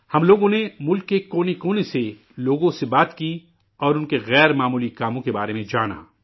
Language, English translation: Urdu, We spoke to people across each and every corner of the country and learnt about their extraordinary work